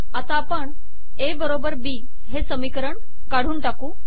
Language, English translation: Marathi, Let us now delete the A equals B equation